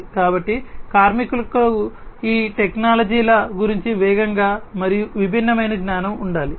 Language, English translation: Telugu, So, workers should have fast and diverse knowledge about these technologies